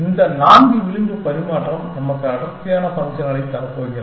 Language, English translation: Tamil, Four edge exchange, which is going to give us a denser functions essentially